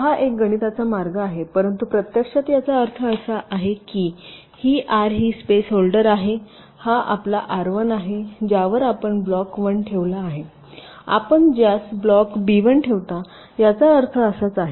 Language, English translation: Marathi, see, this is a mathematical o f saying it, but actually what it means is that this r i is this space holder, this is your r one on which you place block one, one which you place block b one